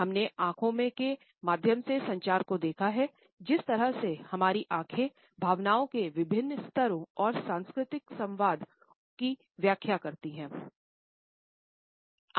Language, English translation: Hindi, We have looked at communication through eyes, the way our eyes communicate different levels of feelings and emotions, and how the cultural variations in their interpretation exist